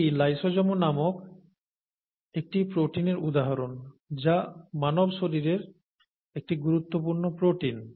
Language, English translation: Bengali, This is an example of a protein called lysozyme which is an important protein in the human body